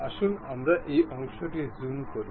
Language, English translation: Bengali, Let us zoom this portion